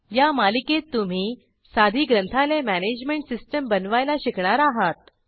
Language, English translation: Marathi, At the end of this series, you will learn to create this simple Library Management System